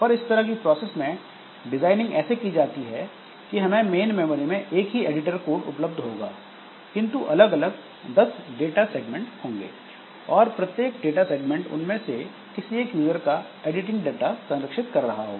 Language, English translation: Hindi, We have got only one piece of editor code available in the main memory, but there are 10 different data segments, each data segment holding the editing data of one user